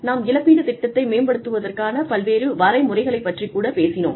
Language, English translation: Tamil, We also talked about, the different criteria, for developing a compensation plan